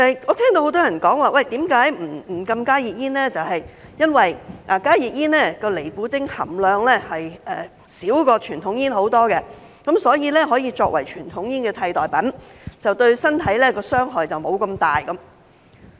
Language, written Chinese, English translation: Cantonese, 我聽到很多人說，不禁加熱煙是因為加熱煙的尼古丁含量較傳統煙少很多，所以可以作為傳統煙的替代品，對身體的傷害沒有那麼大。, I have heard many people say that the reason for not banning HTPs is their much lower nicotine content in comparison with conventional cigarettes which may be used as a substitute for conventional cigarettes as they are less harmful to health